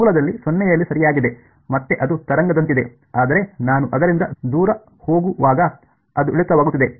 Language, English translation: Kannada, At 0 at the origin right; and again it is like a wave, but it is decaying as I go away from it ok